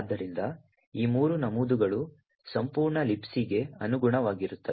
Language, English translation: Kannada, So, these three entries correspond to the entire LibC